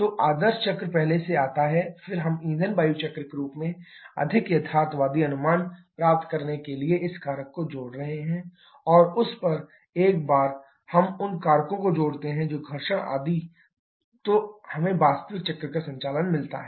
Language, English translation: Hindi, So, the ideal cycle comes first then we are adding this factor to get a more realistic estimation in the form of fuel air cycle, and on that once we can add the factors that friction etc then we get the actual cycle operation